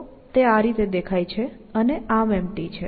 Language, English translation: Gujarati, So, this is how it looks and arm is empty